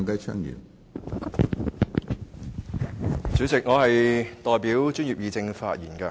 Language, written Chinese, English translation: Cantonese, 主席，我代表專業議政發言。, President I speak on behalf of the Professionals Guild